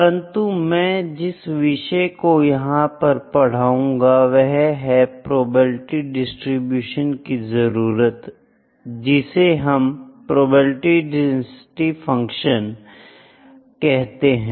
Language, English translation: Hindi, But the contents I like to cover here would be the need of probability distribution or we also called them probability density functions